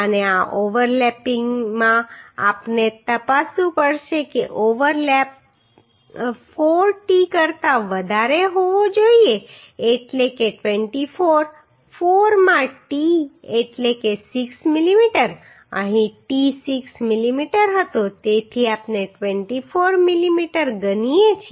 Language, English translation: Gujarati, And in this overlapping we have to check that overlap should be greater than 4t that means 24 4 into t means 6 mm here t was 6 mm we have consider so 24 mm